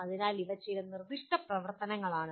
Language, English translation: Malayalam, So these are some of the activities